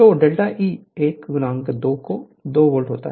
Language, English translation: Hindi, So, delta E will be 1 into 2